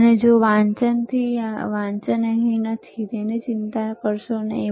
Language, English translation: Gujarati, And if the if the readings are not here, do not worry about it